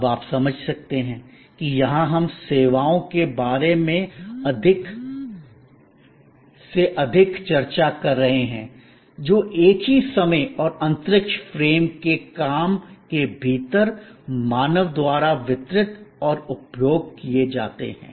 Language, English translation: Hindi, Now, you can understand that here we are discussing more and more about services, which are delivered and consumed by human beings within the same time and space frame work